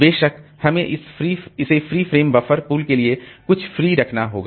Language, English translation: Hindi, Of course, we have keep some free frame some for this free frame buffer pool